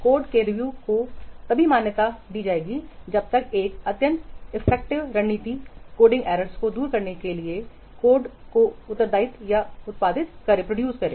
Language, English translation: Hindi, The code review has been recognized as an extremely cost effective strategy for eliminating the coding errors and for producing high quality code